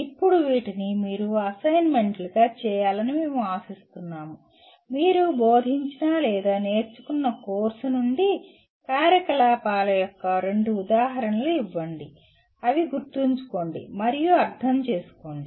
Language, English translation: Telugu, Now, what we would like you to do as assignments, give two examples of activities from the course you taught or learnt that belong to the cognitive levels of Remember and Understand